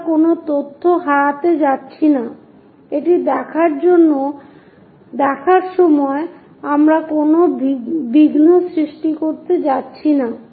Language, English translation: Bengali, We are not going to lose any information, we are not going to create any aberration while looking it